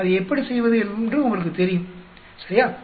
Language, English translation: Tamil, you know how to do that, right